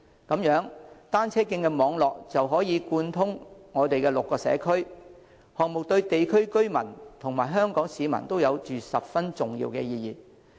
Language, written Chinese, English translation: Cantonese, 這樣，單車徑網絡便可貫通6區，項目對地區居民及香港市民都有着十分重要的意義。, As such the cycle track network will connect the six districts and become a significant infrastructure for both local residents as well as Hong Kong people at large